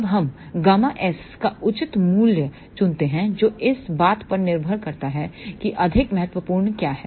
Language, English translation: Hindi, Then we choose appropriate value of gamma s depending upon what is more important